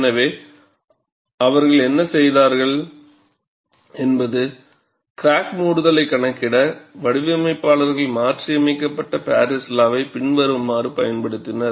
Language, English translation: Tamil, So, what they have done is, to account for crack closure, designers employ a modified Paris law which is as follows